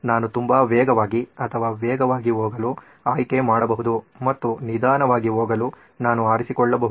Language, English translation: Kannada, I can chose to go very fast or fast and I can chose to go slow